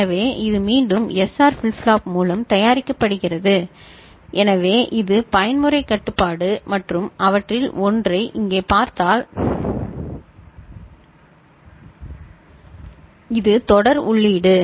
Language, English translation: Tamil, So, this is again made through SR flip flop and so this is the mode control right, this is serial input and if you look at just one of them over here